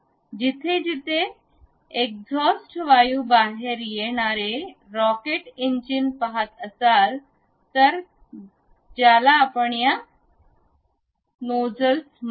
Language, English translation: Marathi, If you are seeing rocket engines on back side wherever the exhaust gases are coming out such kind of thing what we call these nozzles